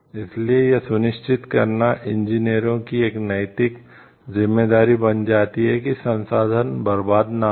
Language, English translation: Hindi, So, it becomes an ethical responsibility of the engineers also to make sure that the resources are not wasted